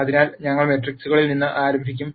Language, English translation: Malayalam, So, we will start with matrices